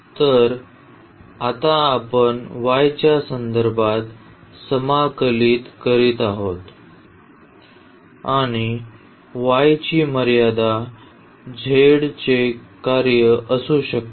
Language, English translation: Marathi, So, we are integrating now with respect to y and the limits of the y can be the function of z can be the function of z